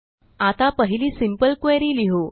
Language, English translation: Marathi, Let us write our first simple query